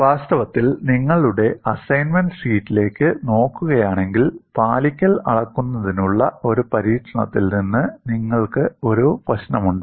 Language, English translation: Malayalam, In fact, if you look at your assignment sheet, you have a problem from an experiment on the measurement of compliance